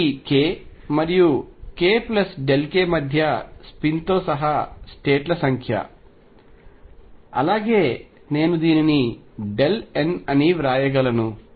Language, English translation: Telugu, This is the number of states including this spin between k and delta k which I can write as delta n